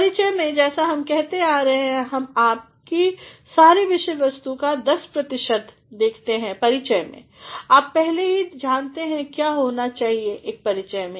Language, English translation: Hindi, In the introduction, as we have been saying, we just pair only 10 percent of your entire content in the introduction; you already know what an introduction should contain